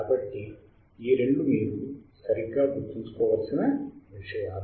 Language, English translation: Telugu, So, two things you have to remember right